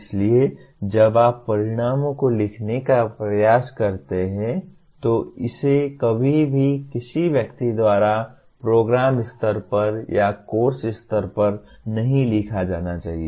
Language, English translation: Hindi, That is why when you try to write the outcomes it should not be ever written by a single person even at the program level or at the course level